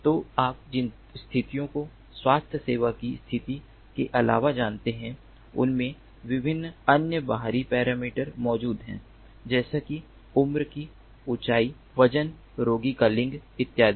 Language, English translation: Hindi, you know, in addition to healthcare conditions, there exist different other external parameters such as age, height, weight, gender of the patient and so on